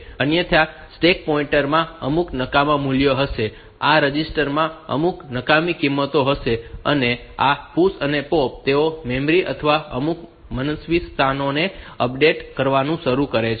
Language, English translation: Gujarati, Otherwise the stack pointer will contain some garbage value, this register will contain some garbage value, and this PUSH POP they will start updating memory or some arbitrary locations